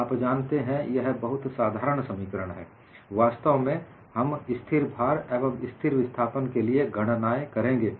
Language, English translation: Hindi, These are all very simple expressions; in fact, we would go and do the calculations for constant load and constant displacement